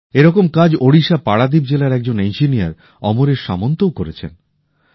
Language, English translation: Bengali, An engineer AmreshSamantji has done similar work in Paradip district of Odisha